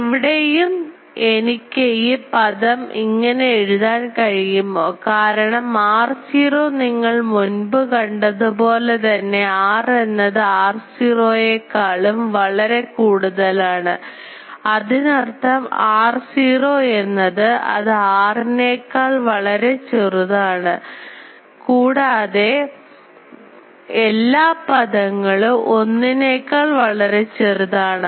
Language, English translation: Malayalam, So, here also can I write that this term because r naught you see already we have said that r is much larger than r naught; that means, r naught is much smaller than r and these are all terms which are less than 1